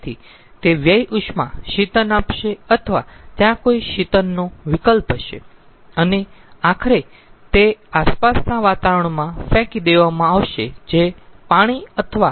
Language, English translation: Gujarati, so that waste heat that will be going to cooling or there would be some sort of a cooling option and ultimately it will be dumped to the surroundings which could be, which could be ah, some water, body or air